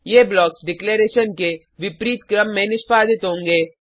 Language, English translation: Hindi, These blocks will get executed in the order of declaration